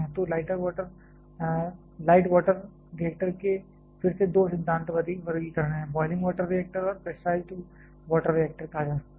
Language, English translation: Hindi, So, called light water reactors again can have two principle classifications, boiling water reactor and pressurized water reactor